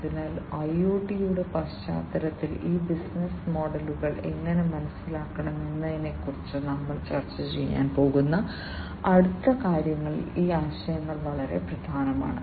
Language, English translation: Malayalam, So, these concepts are very important in the next things that we are going to discuss on how these business models should be understood in the context of IoT